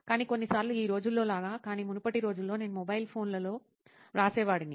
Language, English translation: Telugu, But sometimes like in nowadays, but in earlier days I used to write in mobile phones